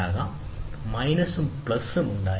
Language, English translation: Malayalam, So, you can have minus and plus